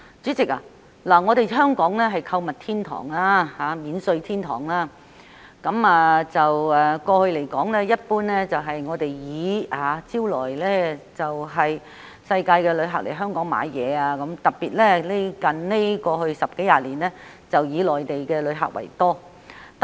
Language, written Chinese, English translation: Cantonese, 主席，香港是購物天堂及免稅天堂，過去一直得以招徠世界各地的旅客來港購物，最近十多二十年更是以內地旅客居多。, President being both a shoppers paradise and a duty - free haven Hong Kong has attracted travellers from around the world to come here for shopping and over the last decade or two most of the travellers have been from the Mainland